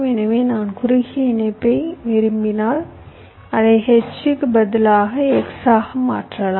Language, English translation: Tamil, so so if i want shorter connection, i can make it as an x instead of a h